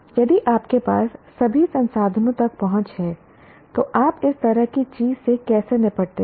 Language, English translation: Hindi, If you had access to all resources, how do you deal with such and such a thing